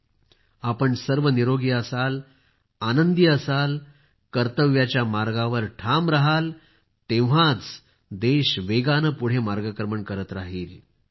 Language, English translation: Marathi, May all of you be healthy, be happy, stay steadfast on the path of duty and service and the country will continue to move ahead fast